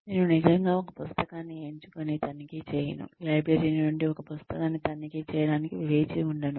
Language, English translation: Telugu, I do not actually pick up a book and check, wait to check out a book from the library